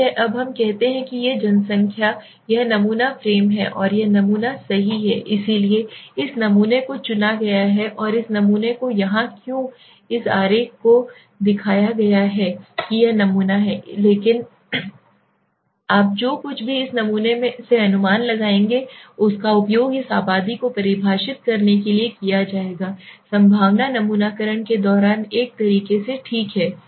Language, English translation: Hindi, Okay now let us say this is the population this is the sampling frame and this is the sample right so this sample is chosen and this sample here why this diagram is shown that this sample is nothing but it is whatever you will infer from this sample will be used to define this population okay so in a way during the probability sampling